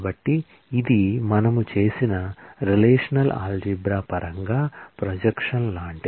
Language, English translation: Telugu, So, it is like a projection in terms of the relational algebra that we have done